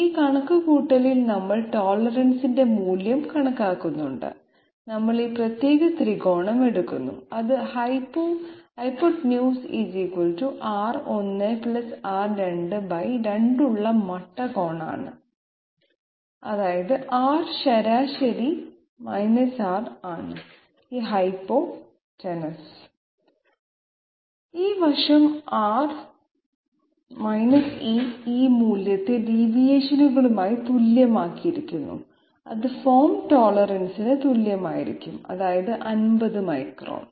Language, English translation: Malayalam, This calculation we bring in the value of the tolerance into the calculation, we take this particular triangle which is right angle having hypotenuse = R 1 + R 2 by 2 that is R mean R is this hypotenuse, this side is R E, E value is the we have equated it to the deviation and it will be equal to the form tolerance say 50 microns